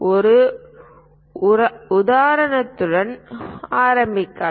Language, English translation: Tamil, Let us begin with one example